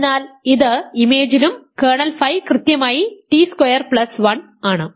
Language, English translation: Malayalam, So, its in image and kernel phi is precisely t square plus 1